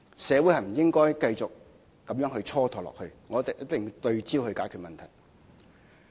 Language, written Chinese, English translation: Cantonese, 社會不應該繼續這樣蹉跎下去，我們一定要對焦解決問題。, We cannot allow society to drag on like that and we must focus on tackling the problems